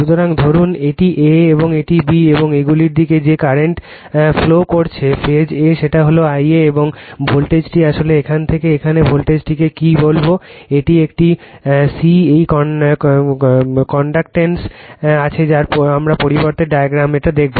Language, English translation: Bengali, So, suppose this is a and this is b and current flowing to these the phase a is I a and the voltage is actually it looks the voltage from here to here is your what you call , it is a your, c know it is connected we will see in the , in yournext diagrams , right